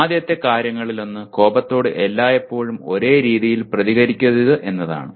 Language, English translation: Malayalam, One of the first things is one should not react to anger in the same way all the time